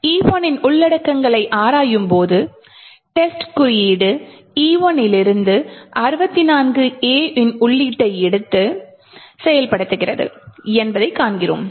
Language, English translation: Tamil, Cat E1 and we see what happens here is that test code takes the input from E1 which is 64 A's and executes